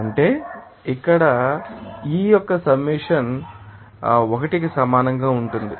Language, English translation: Telugu, That means here summation of yi will be equal to 1